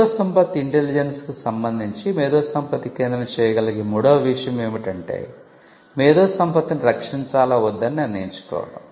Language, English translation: Telugu, The third thing that an IP centre can do with regard to IP intelligence is to take the call or decide whether to protect the IP